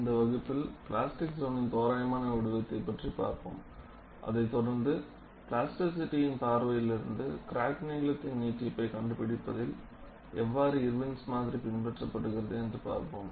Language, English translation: Tamil, In this class, we will try to look at the approximate shape of plastic zone, followed by Irwin's model in finding out the extension of crack length from the plasticity point of view